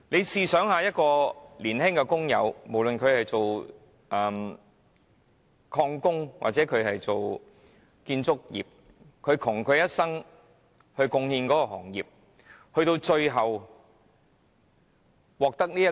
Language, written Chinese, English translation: Cantonese, 試想想，一名原本從事石礦業或建築業的年輕工友，窮其一生為行業作出貢獻，最終卻因而得病。, Imagine that a young worker who was originally engaged in the stone mining or construction industry had made contributions to the industry throughout his life but he eventually became sick